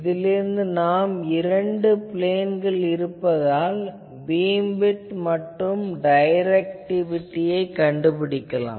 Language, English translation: Tamil, Now, from this, we can find out, since we have in two planes, we have the beam width, so directivity can be obtained